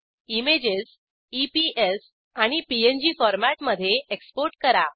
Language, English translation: Marathi, Export the image as EPS and PNG formats